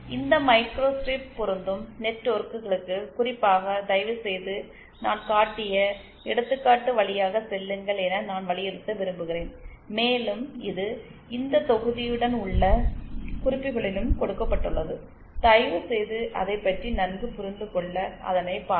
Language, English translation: Tamil, Especially I want to emphasise for this microstrip matching networks, please go through the example that I have shown and it is also given in the notes accompanying this module, please go through it to get a better grasp on it